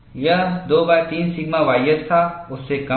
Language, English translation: Hindi, It was 2 by 3 sigma y s, less than that